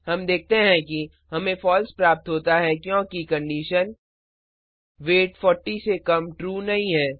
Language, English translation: Hindi, We see that we get a False because the condition, weight less than 40 is not true